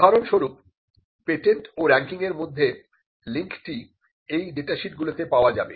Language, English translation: Bengali, For instance, the link between patents and ranking can be found in these data sheets